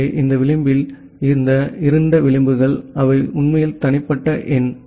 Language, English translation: Tamil, So, this edge this dark edges they are actually individual number